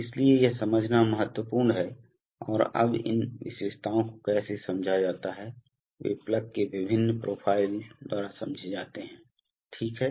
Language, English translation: Hindi, So this is important to understand and now how are these characteristics realized, they are realized by various profiles of the plug, right